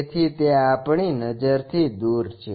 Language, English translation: Gujarati, So, it is beyond our visibility